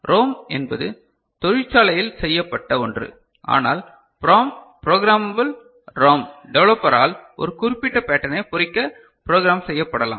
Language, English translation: Tamil, ROM is factory made, but PROM programmable ROM can be programmed by a developer to inscribe a particular pattern